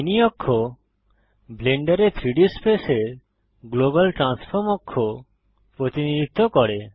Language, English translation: Bengali, The mini axis represents the global transform axis of the 3D space in Blender